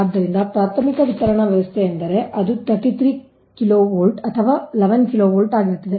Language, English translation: Kannada, so primary distribution system means it will be thirty three kv or eleven kv